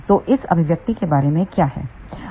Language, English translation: Hindi, So, what is this expression all about